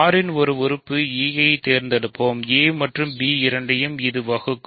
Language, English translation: Tamil, So, let us choose e an element of R divide; let e divide both a and b, right